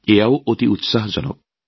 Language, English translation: Assamese, This is also very encouraging